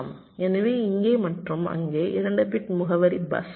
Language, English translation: Tamil, so these, and there is eight bit address